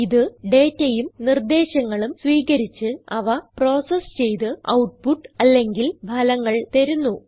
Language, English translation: Malayalam, It takes data and instructions, processes them and gives the output or results